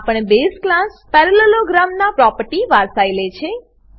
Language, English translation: Gujarati, It inherits the properties of base class parallelogram